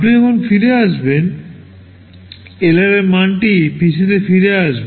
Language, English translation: Bengali, When you are coming back, the value of LR will be copied back into PC